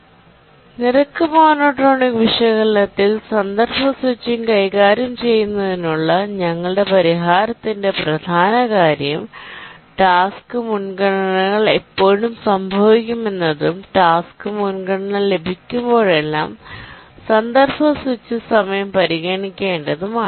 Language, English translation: Malayalam, The crux of our solution here about how to handle context switching in the rate monotonic analysis is to consider the following situation that when do the task preemptions occur and whenever task preemption occurs we need to consider the context switch